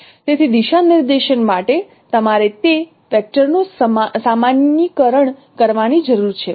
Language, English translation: Gujarati, So for unit direction you need to do the normalization of that vector